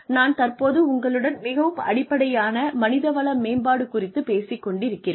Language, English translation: Tamil, What I am talking to you, is very very, basic human resources stuff